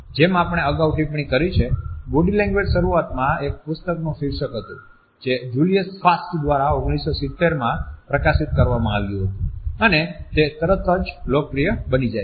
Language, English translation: Gujarati, As we have commented earlier, Body Language was initially the title of a book which was published in 1970 by Julius Fast, and it gripped the popular imagination immediately